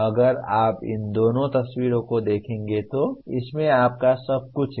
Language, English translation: Hindi, If you look at these two pictures, you have everything in this